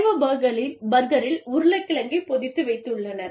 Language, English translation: Tamil, The veggie burger, is actually a potato patty